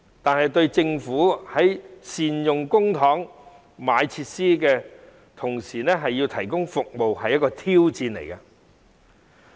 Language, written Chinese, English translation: Cantonese, 但是，對政府而言，既要善用公帑購買設施，同時亦要盡快提供服務，實屬一項挑戰。, Nevertheless it is a real challenge for the Government to optimize the use of public funds to purchase facilities on the one hand and provide services as soon as possible on the other